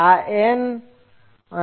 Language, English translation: Gujarati, This is N